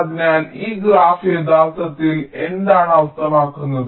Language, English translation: Malayalam, so what this graph actually means